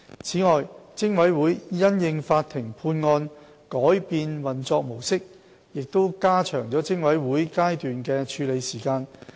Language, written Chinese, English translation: Cantonese, 此外，偵委會因應法庭判案改變運作模式亦加長了偵委會階段的處理時間。, Besides the mode of operation of PIC has been changed in response to a court judgment resulting in yet longer time for the PIC stage